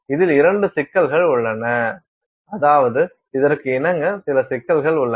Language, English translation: Tamil, So, there are two issues with this I mean so, corresponding to this there are some issues